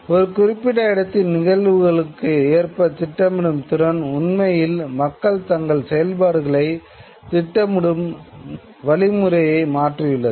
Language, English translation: Tamil, And the ability to plan according to the events of a particular location has changed the way people would actually plan out their activities